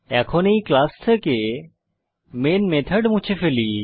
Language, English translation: Bengali, Now, let me remove the main method from this class